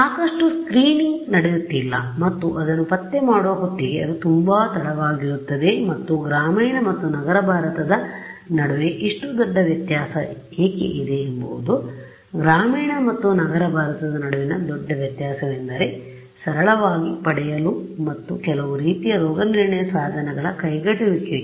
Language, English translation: Kannada, There is not enough screening that is happening and by the time you detect it many times it is too late right and why is there such a big difference between the rural and urban India is simply access and affordability of some kind of diagnostic tool that can tell catch this early on ok